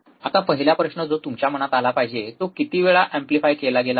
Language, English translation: Marathi, Now, the first question that should come to your mind is, it amplified how many times